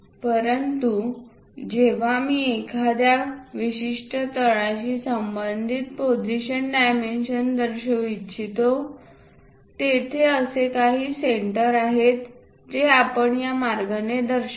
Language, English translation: Marathi, But whenever I would like to show position dimension with respect to certain base, there is some center we will show it in that way